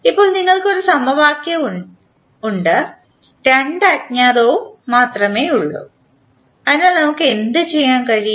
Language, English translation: Malayalam, Now, we have only one equation and two unknowns, so what we can do